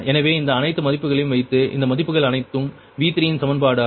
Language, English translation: Tamil, so if that put all these values, all these value for being the equation of v three, all these values, so you will get v three